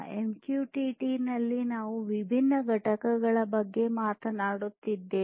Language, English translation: Kannada, In MQTT we are talking about different components